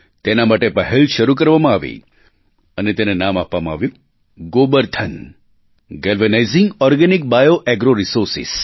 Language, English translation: Gujarati, An effort was initiated which was named GOBARDhan Galvanizing Organic Bio Agro Resources